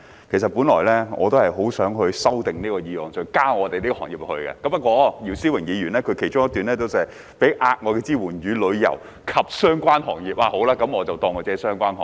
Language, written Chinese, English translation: Cantonese, 其實我本來很想修正這項議案，在議案中提及我們的行業，不過，姚思榮議員的議案中其中一段寫到："提供額外支援予旅遊及相關行業"，那麼算了，我就假設我們的行業是相關行業。, In fact I originally wanted to propose an amendment to this motion by mentioning our industry in the motion but since one of the paragraphs in Mr YIU Si - wings motion reads providing extra support for tourism and related industries so forget it I will assume that our industry is a related industry